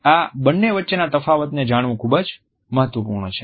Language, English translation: Gujarati, It is very important to know the difference between these two